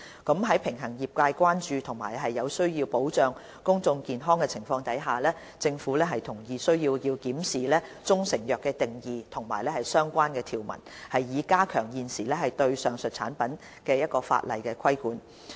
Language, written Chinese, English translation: Cantonese, 在必須平衡業界的關注和有需要保障公眾健康的情況下，政府同意有需要檢視"中成藥"的定義和相關條文，以加強現時對上述產品的法例規管。, Having regard to the need to strike a balance between the industry concerns and protecting public health the Government approves of the need to review the definition of proprietary Chinese medicines and the relevant provisions in order to enhance existing legislative control of the aforementioned products